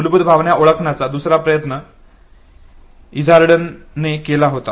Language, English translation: Marathi, The second attempt to identify basic emotion was made by Izard